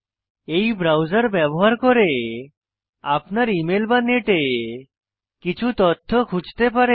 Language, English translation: Bengali, Using this browser, you can access your emails or search for some information on the net